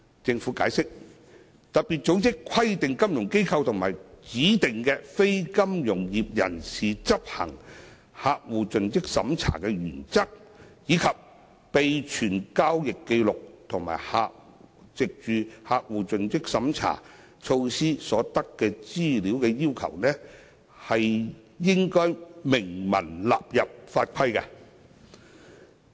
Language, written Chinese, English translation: Cantonese, 政府解釋，特別組織規定金融機構及指定非金融業人士執行客戶盡職審查的原則，以及備存交易紀錄和藉客戶盡職審查措施所得資料的要求，應明文納入法規。, The Government has explained that the principle for FIs and DNFBPs to conduct CDD and maintain records on transactions and information obtained through CDD measures as required by FATF must be set out in law